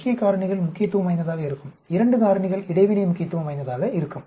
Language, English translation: Tamil, Main factors will be significant 2 factors interaction will be significant